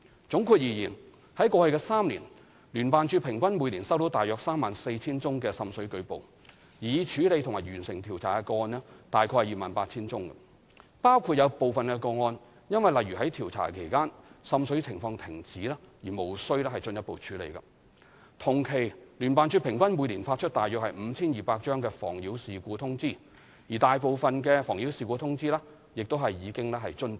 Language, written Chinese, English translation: Cantonese, 總括而言，在過去3年，聯辦處平均每年收到約 34,000 宗滲水舉報，而已處理及完成調查的個案約 28,000 宗，包括有部分個案因例如在調查期間滲水情況停止而無需進一步處理，同期聯辦處平均每年發出約 5,200 張"妨擾事故通知"，而大部分"妨擾事故通知"亦已遵辦。, Overall speaking in the past three years JO received an average of some 34 000 water seepage reports per year in which 28 000 cases have been handled and investigation completed including cases that needed not be dealt with due to for instance cease of water seepage during investigation . JO had issued some 5 200 nuisance notice annually over the same period with majority of the nuisance notice complied with